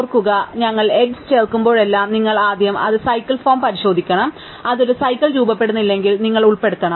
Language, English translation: Malayalam, Remember that whenever we add an edge, you must first check if it forms a cycle and if it does not form a cycle you must include